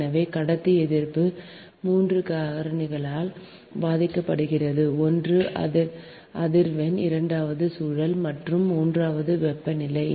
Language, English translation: Tamil, so the conductor resistance is affected by three factors: one is the frequency, second is the spiralling and third is the temperature